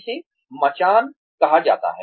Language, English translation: Hindi, This is called scaffolding